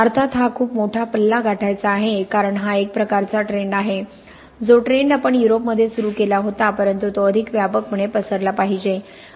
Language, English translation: Marathi, Of course it is a long way to go because that is a sort of thing, the trend we started in Europe but that needs to spread more widely